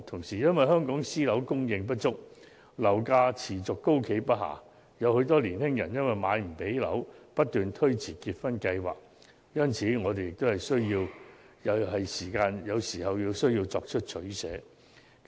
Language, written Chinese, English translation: Cantonese, 再加上香港私樓的供應不足，樓價持續高企不下，很多青年人因無法負擔樓價而要不斷推遲結婚計劃，因此，我們也是時候要作出取捨。, Moreover owing to inadequate supply of private housing units and the persistently high property prices many young people have to defer their marriage plans time and again as they cannot afford to buy their own flats . Therefore it is now time for us to make a choice